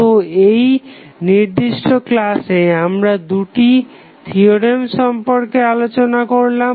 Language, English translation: Bengali, So, in this particular session, we discussed about 2 theorems